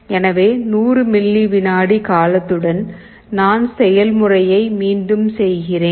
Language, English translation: Tamil, So, with 100 millisecond period, I repeat the process